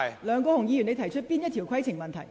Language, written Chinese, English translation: Cantonese, 梁國雄議員，你有甚麼規程問題？, Mr LEUNG Kwok - hung what is your point of order?